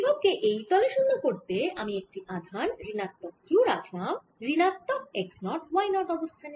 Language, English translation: Bengali, to make it zero on that plane i'll now put a charge minus q at minus x naught and y zero